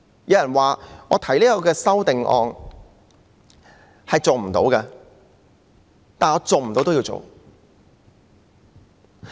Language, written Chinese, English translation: Cantonese, 有人說，我提出此項修正案是做不到的，但我仍然要做。, Some people may say that this amendment proposed by me is not feasible but I have to go ahead nonetheless